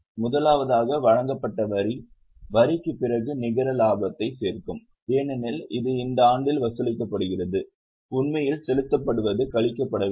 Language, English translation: Tamil, First, net profit after tax made tax provided add hoga because this is charged in the year and what is actually paid is to be deducted